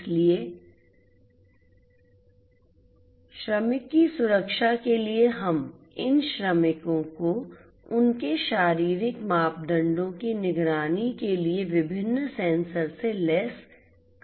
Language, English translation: Hindi, So, for the water safety we could have these workers fitted with different different sensors for monitoring their you know their physiological parameters